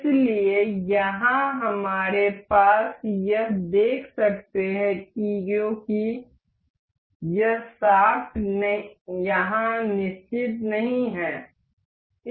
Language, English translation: Hindi, So, here we have we can see this moving because this shaft here is not fixed